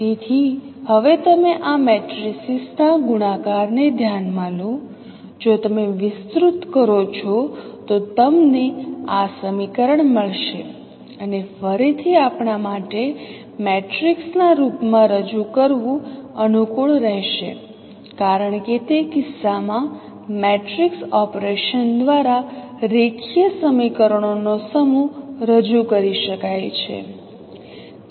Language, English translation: Gujarati, So that is how this equation is to right and again it would be convenient for us to represent in the form of a matrix because in that case a set of linear equations can be represented by the matrix operations